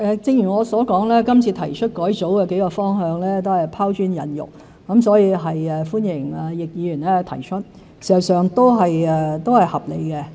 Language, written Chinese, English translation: Cantonese, 正如我所說，這次提出改組的幾個方向都是拋磚引玉，所以歡迎易議員提出建議。, As I said the several directions of the reorganization proposed this time only seek to attract other valuable opinions so I welcome Mr YICKs suggestion which indeed is reasonable